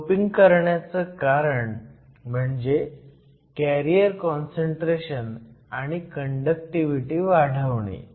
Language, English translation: Marathi, One of the reasons for doping is to increase the carrier concentration and to also increase the conductivity